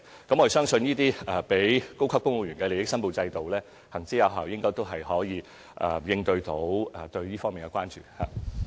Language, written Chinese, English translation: Cantonese, 我們相信，這些適用於高級公務員的利益申報制度行之有效，應能夠應對這方面的關注。, We believe that the system for declaration of interests applicable to top civil servants is effective in addressing concerns in this respect